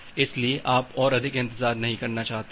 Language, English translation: Hindi, So, you do not want to wait any more